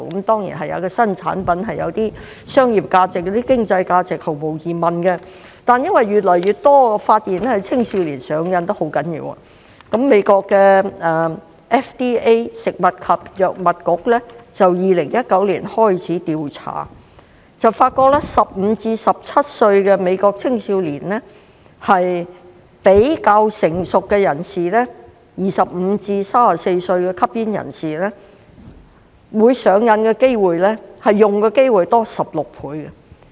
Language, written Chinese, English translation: Cantonese, 當然，新產品毫無疑問有些商業價值、經濟價值，但因為發現越來越多青少年嚴重上癮，美國的食品及藥物管理局在2019年開始調查，發覺15歲至17歲的美國青少年比較成熟的25歲至34歲的吸煙人士會上癮的機會高16倍。, There is no doubt that the new product has some commercial and economic value but as more and more teenagers were found to be seriously addicted the US Food and Drug Administration commenced an investigation in 2019 and discovered that American teenagers aged 15 to 17 are 16 times more likely to be addicted than mature smokers aged 25 to 34